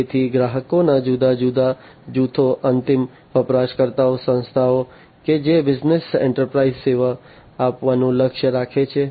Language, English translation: Gujarati, So, different groups of customers, the end user organizations that the business enterprise aims to serve